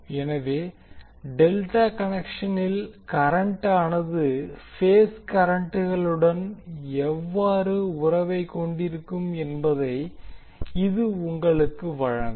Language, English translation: Tamil, So this will give you an idea that how the current in case of delta connected will be having relationship with respect to the phase currents